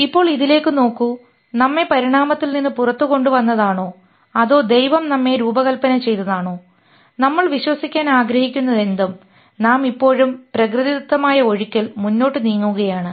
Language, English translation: Malayalam, Whether we were bought out of evolution or God designed us, whatever, whatever we want to believe, we still have moved on in a natural flow